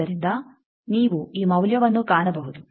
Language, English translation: Kannada, So, you can find this value